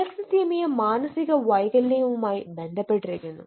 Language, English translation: Malayalam, alexilthymia also has been correlated with eh eh psychiatric disorders